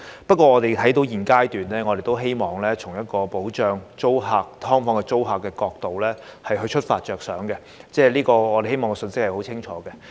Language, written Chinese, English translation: Cantonese, 不過，我們現階段都希望從保障"劏房"租客的角度出發，並希望清楚地帶出這信息。, However at this juncture we wish to provide protection for SDU tenants and also disseminate this message clearly